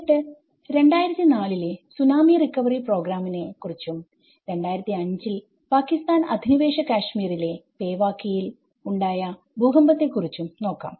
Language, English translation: Malayalam, And then the Tsunami recovery programs in 2004 Tsunami and as well as 2005 earthquake in Kashmir in the Pewaukee Pakistan Occupied Kashmir